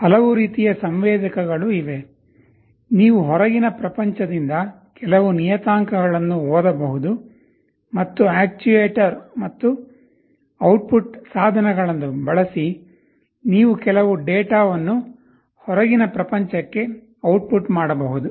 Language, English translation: Kannada, There are so many kinds of sensors, you can read some parameters from the outside world and using actuators and output devices, you can output some data to the outside world